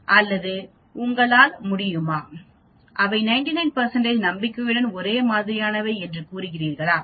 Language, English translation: Tamil, Or can you say that they are same with 99 percent confidence